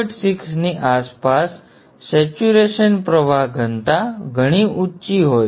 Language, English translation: Gujarati, They have pretty high saturation flux density around 1